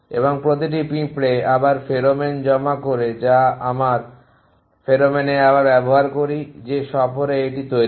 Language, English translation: Bengali, And each ant also deposits pheromone we just use at the pheromone again on the tour it constructs